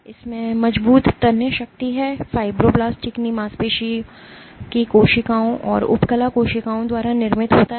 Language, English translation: Hindi, It has strong tensile strength, it is produced by fibroblasts smooth muscle cells and epithelial cells